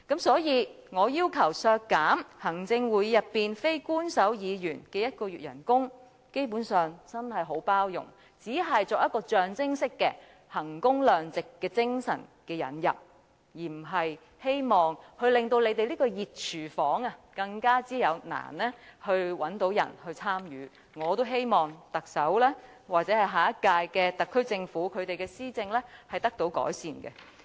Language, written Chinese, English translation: Cantonese, 所以，我要求削減行會內非官守成員1個月薪酬，基本上，真的已很包容，只是象徵式的引入衡工量值的精神，我並非希望令這個"熱廚房"更難找人參與，而是希望特首或下屆特區政府施政能得以改善。, I therefore requested for the reduction of one - month salary for Executive Council non - official members . Basically I am being very tolerating and just introduce the spirit of value for money nominally . I do not want to make this hot kitchen even harder to find its participants instead I hope that the Chief Executive or the SAR Government in the next term could improve its policy implementation